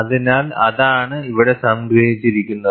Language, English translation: Malayalam, So, that is what is summarized here